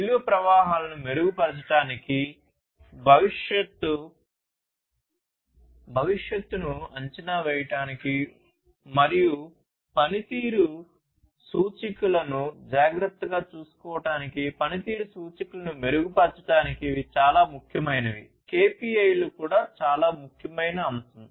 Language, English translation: Telugu, So, all of these are very important improving the value streams is important, predicting the future, and taking care of the performance indicators improving upon the performance indicators, the KPIs this is also a very important aspect